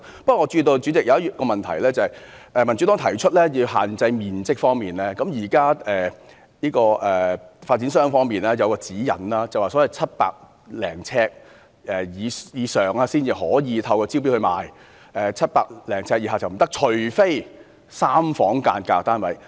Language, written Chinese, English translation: Cantonese, 不過，主席，我注意到一項問題，就是民主黨提出要就面積作出限制，現在發展商方面有一項指引，即700呎以上的單位才可以透過招標方式發售 ，700 呎以下就不可以，除非是3房間格單位。, However President I have noticed one issue that is the Democratic Party proposed that a restriction be imposed on the floor area and now there is a guideline for developers that is only units over 700 sq ft in area can be sold by way of tender but not for those below 700 sq ft unless they are units with three rooms